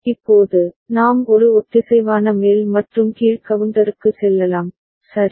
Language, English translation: Tamil, Now, we can move to a synchronous up and down counter, right